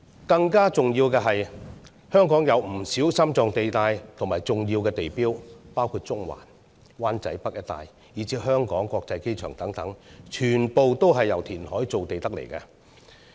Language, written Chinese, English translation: Cantonese, 更加重要的是，香港有不少心臟地帶和重要地標，包括中環、灣仔北一帶，以至香港國際機場等，全部都是由填海造地而來。, It was also created by reclamation . Notably many core areas and important landmarks in Hong Kong including Central Wan Chai North and Hong Kong International Airport all came from reclamation